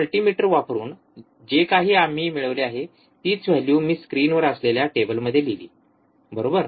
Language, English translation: Marathi, Whatever we have obtained using the multimeter, if I put the same value, in the table which is on the screen, right